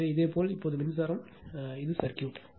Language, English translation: Tamil, So, if you now this is this is the flow, this is the circuit right